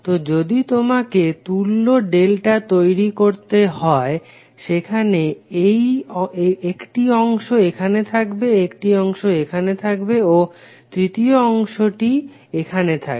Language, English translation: Bengali, So if you have to create equivalent delta there will be onE1 segment here, onE1 segment here and third segment would come here